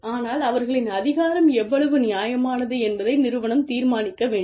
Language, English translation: Tamil, But, the organization has to determine, how reasonable their rule is